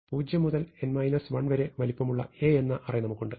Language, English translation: Malayalam, So, we have A with indices 0 to n minus 1